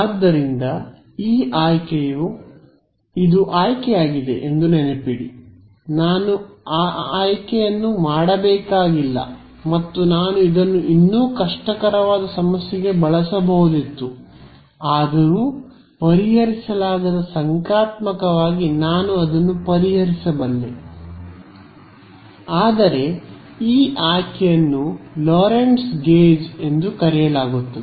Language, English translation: Kannada, So, this choice remember this was the choice, I need not have made this choice and I could have chosen this although even more difficult problem its not unsolvable numerically I can solve it, but this choice is what is called the Lorentz gauge